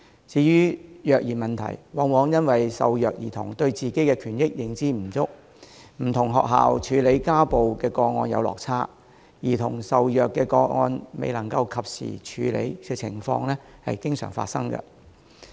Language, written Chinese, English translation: Cantonese, 至於虐兒問題，往往因為受虐兒童對自己的權益認知不足，加上不同學校處理家暴個案的方式有落差，兒童受虐個案未能及時得到處理的情況經常發生。, For child abuse as the abused children usually do not have adequate knowledge of their rights and schools may adopt different approaches to domestic violence cases it always happens that child abuse cases are not handled in time